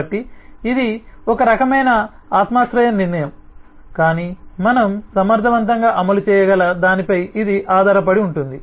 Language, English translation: Telugu, so this is a kind of a subjective decision, but it will depend significantly on what can we efficiently implement